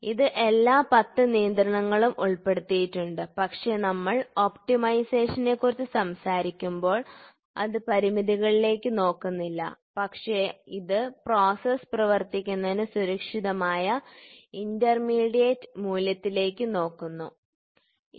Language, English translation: Malayalam, So, it is all 10 constraints are put, but when we talk about optimisation, it does not look at constraints, but it looks at intermediate value which is safer for the process to operate, ok